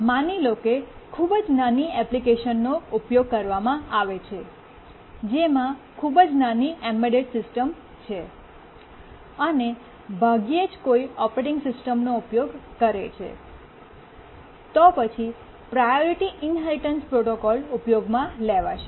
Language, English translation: Gujarati, If you are using a very small application, a small embedded system which hardly has a operating system, then the priority inheritance protocol is the one to use